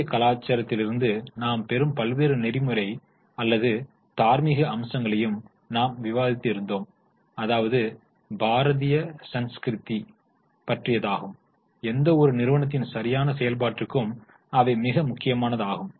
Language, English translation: Tamil, We have also discussed various ethical aspects or moral aspects which we get from Bharatiyya Sonskruti and which are very important for proper functioning of any organization